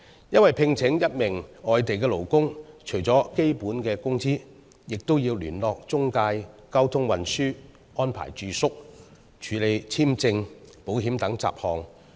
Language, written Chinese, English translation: Cantonese, 因為，聘請一名外地勞工，除了支付基本工資外，亦要聯絡中介、安排交通運輸和住宿，以及處理簽證和保險等雜項。, The reason is that the employment of an imported worker entails not just the payment of a basic salary but also a variety of obligations such as liaison with the intermediary arrangement of transport and accommodation and acquisition of visas and insurance